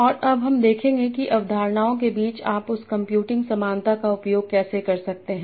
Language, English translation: Hindi, And now we will see how we can use that for computing a similarity between concepts